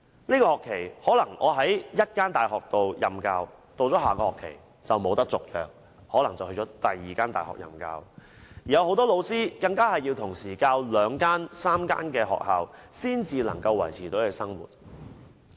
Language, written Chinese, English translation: Cantonese, 這個學期我可能在一間大學任教，到下學期便不獲續約，可能要到另一間大學任教，很多老師更同時要在兩三間學校授課才能維持生活。, I may be teaching in this university in this semester and then in another university in the following semester because my contract is not renewed . Many lecturers have to teach at a few universities at the same time to make a living . Take me as an example